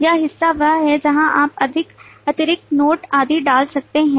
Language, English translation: Hindi, This part is where you can put more additional notes and so on